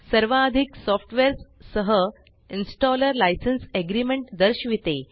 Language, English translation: Marathi, As with most softwares, the installer shows a License Agreement